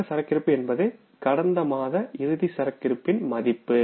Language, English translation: Tamil, Opening inventory is the this figure which is the closing inventory for the previous month